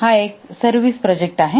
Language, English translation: Marathi, This is also a type of software service